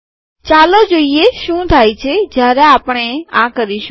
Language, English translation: Gujarati, Let us see what happens when we do that